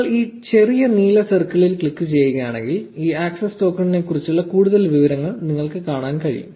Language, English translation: Malayalam, Now if you click on this little blue circle here, you can see more information about this access token